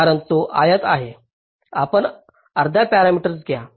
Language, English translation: Marathi, that will be here half parameter